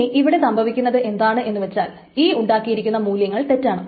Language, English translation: Malayalam, Then what happens is that this value that is produced is wrong